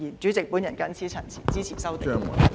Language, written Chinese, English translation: Cantonese, 主席，我謹此陳辭，支持修訂。, With these remarks Chairman I support the amendments